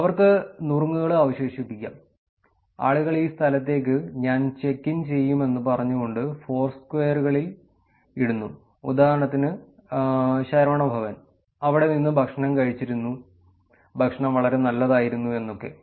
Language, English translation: Malayalam, They can also leave tips, tips at specific menus are the is the information that people put in to the Foursquares saying I will checked in into this location, for examples, Saravana Bhavan, I had food, food was pretty good